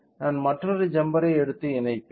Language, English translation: Tamil, I will take another jumpers and connect